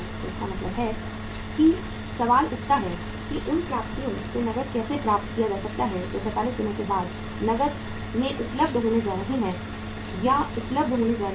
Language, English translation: Hindi, So it means the question arises how the cash can be received from those receivables which are going to be collected or going to be available in cash after 45 days